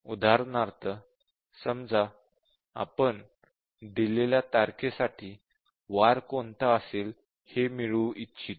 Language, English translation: Marathi, For example, let's say we want to compute the day for a given date